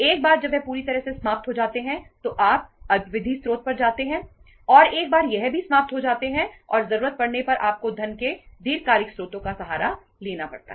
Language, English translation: Hindi, Once that is fully exhausted you go to the short term source and once that is also exhausted and need arises then you have to resort to the long term sources of the funds